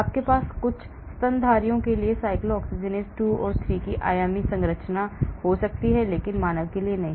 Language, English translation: Hindi, You may have the 3 dimensional structure of cyclooxygenase 2 for say for some mammals but not for human